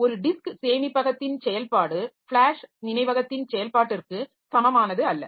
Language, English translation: Tamil, So, each device is different like the operation of a disk storage is not the same as the operation of flash memory